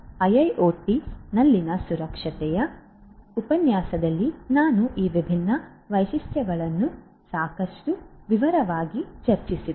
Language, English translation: Kannada, In the lecture on security in IIoT I discussed these different features in adequate detail